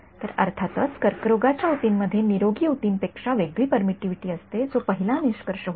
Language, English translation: Marathi, So, of course, cancerous tissue has different permittivity from healthy issue that was the first conclusion right